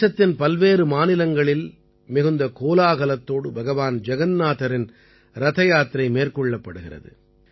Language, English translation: Tamil, Lord Jagannath's Rath Yatra is taken out with great fanfare in different states of the country